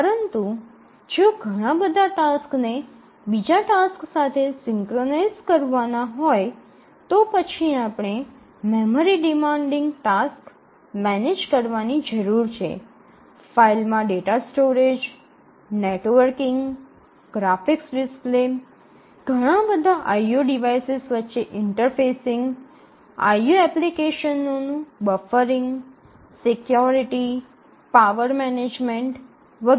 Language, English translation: Gujarati, But then if there are multiple tasks synchronization among the tasks you need to manage the memory, like memory demanding tasks, we need to store data in file, we need to network to other devices, we need graphics displays, we need to interface with a wide range of IO devices, we need to have buffering of the IO applications, security, power management, etcetera